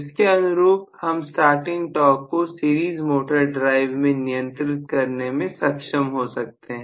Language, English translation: Hindi, Correspondingly, I would be able to control the starting torque quite effectively in a series motor drive